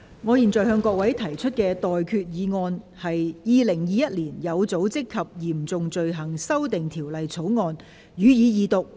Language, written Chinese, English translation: Cantonese, 我現在向各位提出的待決議題是：《2021年有組織及嚴重罪行條例草案》，予以二讀。, I now put the question to you and that is That the Organized and Serious Crimes Amendment Bill 2021 be read the Second time